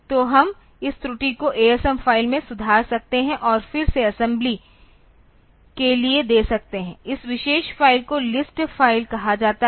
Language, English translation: Hindi, So, we can rectify this error in the asm file and again give it for assembly this particular file is called the list file